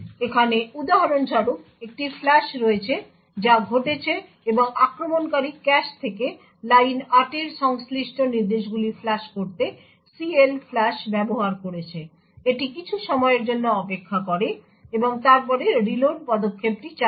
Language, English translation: Bengali, So over here for example, there is a flush that has happened and the attacker has used CLFLUSH to flush out the instructions corresponding to line 8 from the cache, it waits for some time and then the reload step is triggered